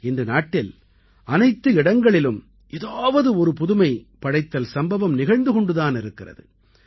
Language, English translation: Tamil, Today, throughout the country, innovation is underway in some field or the other